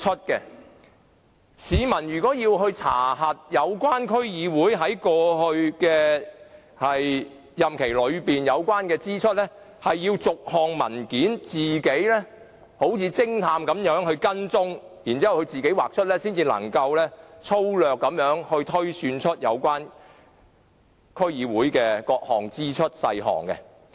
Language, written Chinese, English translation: Cantonese, 如果市民想查核有關區議會在過去任期內的有關支出，便要自行好像偵探般，把文件逐一追查，才能粗略推算出有關區議會的各項支出細項。, If members of the public wish to check the relevant expenditures of an DC in its past terms they will have to act on their own like detectives and trace the documents one by one . Only then can they roughly deduce the breakdown of various expenditure items of the DC